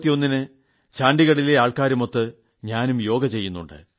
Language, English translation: Malayalam, I shall be doing Yog with the people of Chandigarh